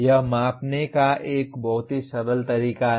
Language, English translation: Hindi, That is a very gross way of measuring